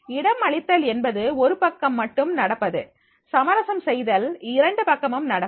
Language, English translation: Tamil, Accommodating is one sided, compromising is both sided